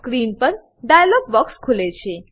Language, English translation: Gujarati, A dialog box opens on the screen